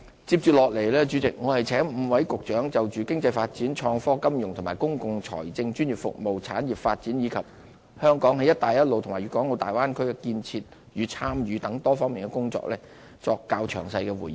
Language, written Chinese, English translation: Cantonese, 接着我請5位局長就經濟發展、創科、金融及公共財政、專業服務、產業發展，以及香港在"一帶一路"及粵港澳大灣區建設的參與等多方面的工作作出較詳細回應。, I will now ask five Directors of Bureaux to give more detailed replies explaining tasks related to economic development innovation and technology finance and public finance professional services development of industries and Hong Kongs participation in the Belt and Road Initiative and development of the Guangdong - Hong Kong - Macao Bay Area and so on